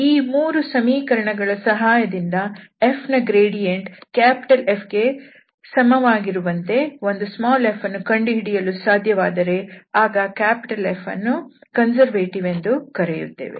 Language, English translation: Kannada, So, now, with the help of these 3 equations, if we can find a small f such that this gradient f is equal to the vector F, then we will call that this F is a conservative vector field